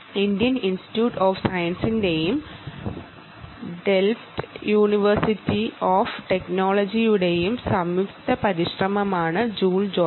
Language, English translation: Malayalam, by the way, joule jotter is a joint effort of the indian institute of science and the delft university of technology right